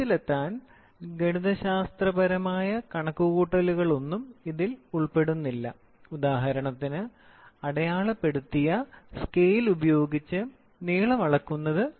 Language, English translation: Malayalam, It involves no mathematical calculation to arrive at the result; for example, measurement of length by a graduated scale, ok